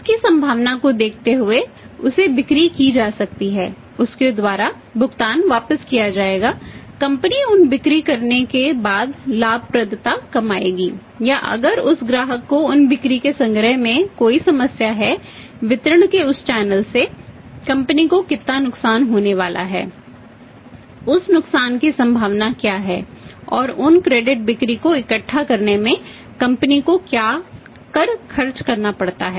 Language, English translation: Hindi, Looking at the probability of say the sales can be made to him payment will be made back by him the profitability the company will earn after making those sales or if there is a problem in collection of those sales from that customer from that channel of distribution channel how much loss the particular company is going to make what is the probability of that loss and what tax expenses the company has to make in collecting those the credit sales